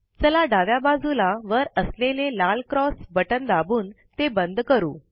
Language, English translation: Marathi, Lets close this by clicking on the Red Cross button on the top left